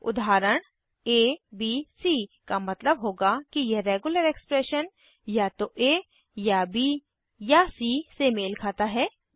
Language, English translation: Hindi, [abc] would mean that this regular expression matches either a or b or c